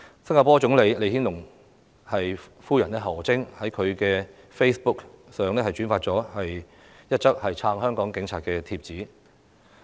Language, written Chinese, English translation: Cantonese, 新加坡總理李顯龍夫人何晶亦在其 Facebook 上轉發了一則撐香港警察的帖子。, HO Ching the wife of Singapore Prime Minister LEE Hsien - loong has also shared a post supporting the Hong Kong Police on Facebook . President history cannot be rewound